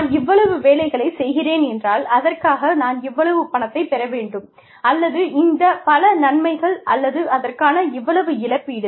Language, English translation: Tamil, If I am doing this much of work, I should get this much of money for it, or these many benefits, or this much compensation for it